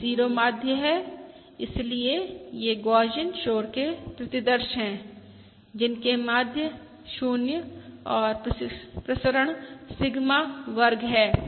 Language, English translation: Hindi, so these are Gaussian noise samples with 0 mean and variance Sigma square